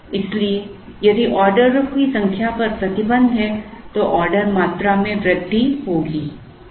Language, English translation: Hindi, So, if there is a restriction on the number of orders, then the order quantity will increase